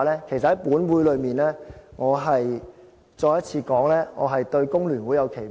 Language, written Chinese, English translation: Cantonese, 其實在本會裏面，我重申我對香港工會聯合會有期望。, Actually in this Council I must stress once again that I do have some expectations for the Hong Kong Federation of Trade Unions FTU